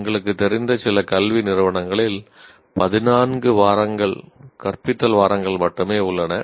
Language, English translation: Tamil, In some institutions we know of there are only 14 teaching weeks